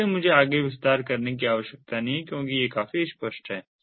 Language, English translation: Hindi, i do not need to elaborate further because these are quite obvious